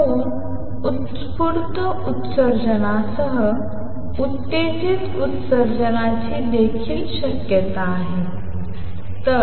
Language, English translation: Marathi, Two along with spontaneous emission there is a possibility of stimulated emission also